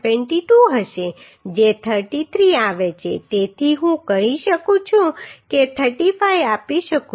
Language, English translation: Gujarati, 22 which are coming 33 so I can provide say 35